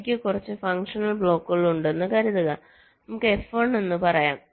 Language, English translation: Malayalam, suppose i have a few functional blocks, lets say f one